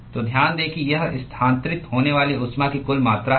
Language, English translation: Hindi, So, note that it is the total amount of heat that is transferred